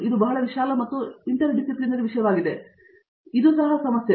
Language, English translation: Kannada, This is so very wide and interdisciplinary, that is the problem